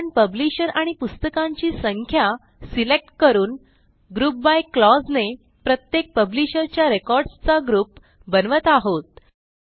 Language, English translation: Marathi, So we are selecting the Publisher and the number of books and the GROUP BY clause to group the records for each Publisher